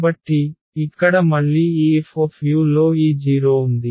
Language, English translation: Telugu, So, here again we have this 0 into this F u